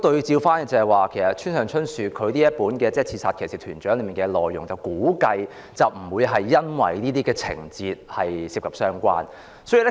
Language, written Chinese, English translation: Cantonese, 就村上春樹《刺殺騎士團長》的內容而言，我估計不是因為書中有這些情節而被評為不雅。, As regards the contents of Haruki MURAKAMIs Killing Commendatore I guess it is not the plots that are considered indecent